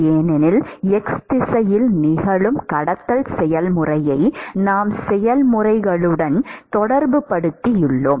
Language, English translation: Tamil, So, somehow the process which is occurring in the x direction, and time has to be related